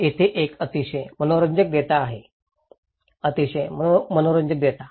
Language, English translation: Marathi, Here is a very interesting data, very interesting data